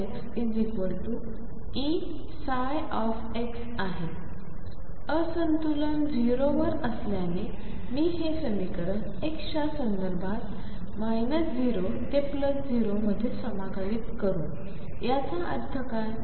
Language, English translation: Marathi, Since the discontinuity is at x equals 0, let me integrate this equation with respect to x from 0 minus to 0 plus what does that mean